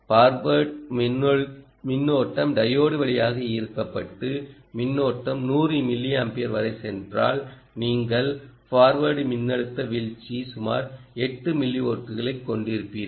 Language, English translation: Tamil, and if the forward current, the current drawn through the diode, goes up to hundred milliamperes, then you will have a forward voltage drop of about eight millivolts